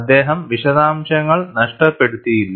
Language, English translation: Malayalam, He did not miss out the details